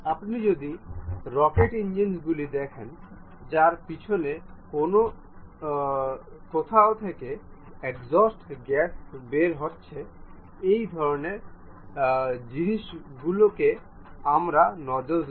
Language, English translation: Bengali, If you are seeing rocket engines on back side wherever the exhaust gases are coming out such kind of thing what we call these nozzles